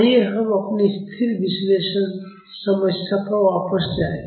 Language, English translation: Hindi, Let us go back to our static analysis problem